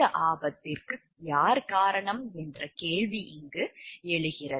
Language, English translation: Tamil, Question comes over here, who is responsible for this hazard